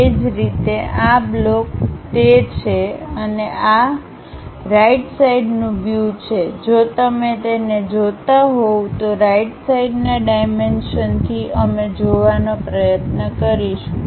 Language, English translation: Gujarati, Similarly, this block is that and this one is that and right side view if you are looking at it, from right side dimensions we will try to look at